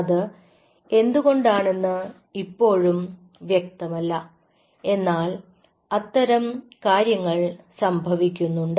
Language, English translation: Malayalam, it is still not clear why is it so, but such things does happen